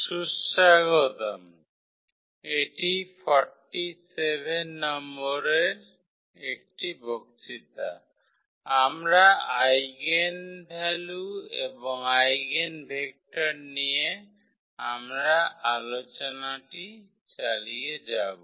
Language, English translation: Bengali, Welcome back and this is a lecture number 47, we will continue our discussion on Eigenvalues and Eigenvectors